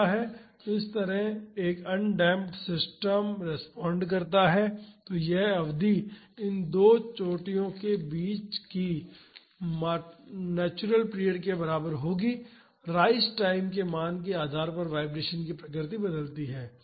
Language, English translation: Hindi, So, this is an undamped system responds; so, this period between these 2 peaks will be equal to the natural period, depending upon the value of the rise time the nature of the vibration changes